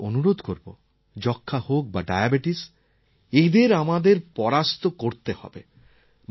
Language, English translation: Bengali, I would like to appeal to you all, whether it is TB or Diabetes, we have to conquer these